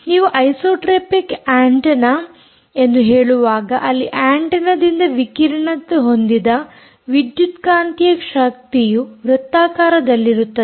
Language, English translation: Kannada, when you say isotropic antenna, the electromagnetic energy which is radiated by the antenna is circular, ok, is completely circular